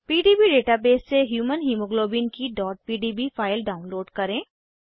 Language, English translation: Hindi, * Download the .pdb file of Human Hemoglobin from PDB database